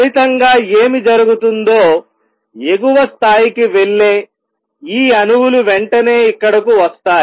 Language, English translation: Telugu, As a result what would happened these atoms that go to the upper level immediately come down here